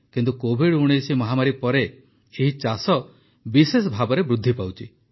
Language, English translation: Odia, But its cultivation is increasing especially after the COVID19 pandemic